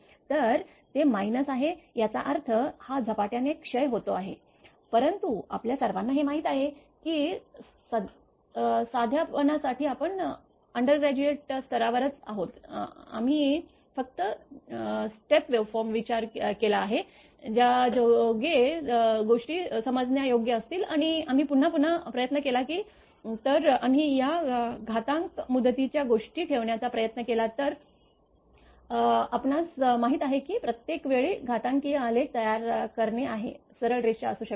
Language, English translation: Marathi, So, it is minus is there; that means, it is exponentially decay right, but in the throughout for ours you know at undergraduate level for simplicity only we have considered the step waveform such that things will be understandable and if we again and again if we try to put this exponential term things will we you know it cannot be then straight line every time we have to make exponential graph